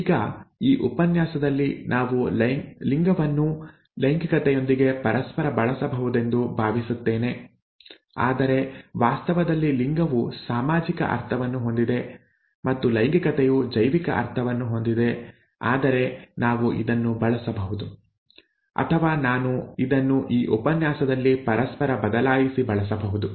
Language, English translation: Kannada, Now, gender I think in this lecture we would use interchangeably with sex but in actual terms gender has a social connotation and sex has a biological connotation but we could use this, or I could use this interchangeably in this lecture